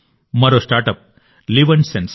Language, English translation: Telugu, Another startup is LivNSense